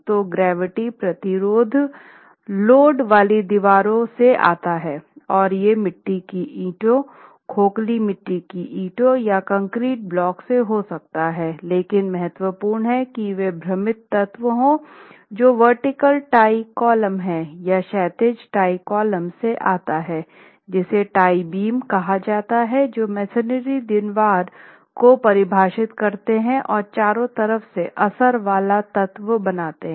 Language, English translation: Hindi, The masonry has load bearing walls, so gravity resistance is from load bearing walls and these could be clay bricks, hollow clay bricks or concrete blocks but the element that is of importance are the confining elements which are vertical tie columns or horizontal RC ties called tie beams and they confine the masonry wall which is the load bearing element from all four sides